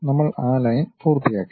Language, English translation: Malayalam, We are done with that Line